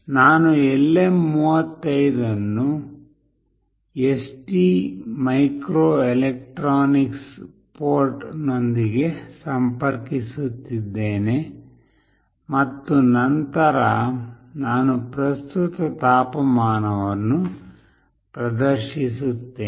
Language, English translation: Kannada, I will be connecting LM35 with ST microelectronics port and then I will be displaying the current temperature